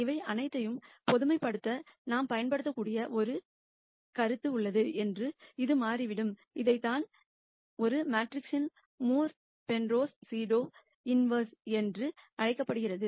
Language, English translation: Tamil, It turns out that there is a concept that we can use to generalize all of these, this is what is called the Moore Penrose pseudo inverse of a matrix